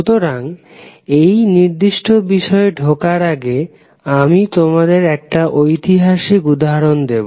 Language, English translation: Bengali, So, before going into this particular topic today, let me give you one good historical event example